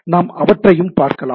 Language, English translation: Tamil, So, these are the things we look at